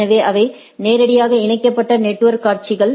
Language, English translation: Tamil, So, that is they are directly connected network scenario